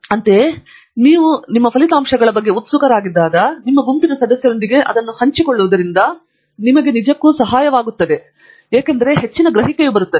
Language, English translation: Kannada, Likewise, when you are excited about your results also, sharing it with your group members really helps you because a lot of perceptives come in